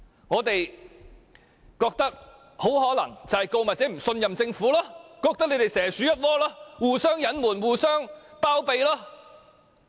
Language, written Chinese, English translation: Cantonese, 我認為原因很可能是告密者不信任政府，認為政府與港鐵公司蛇鼠一窩，互相隱瞞，互相包庇。, I think this was probably because the whistle - blower did not trust the Government and considered that the Government and MTRCL were in cahoots with each other and would cover for and shield each other